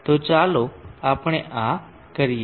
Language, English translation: Gujarati, So let us do this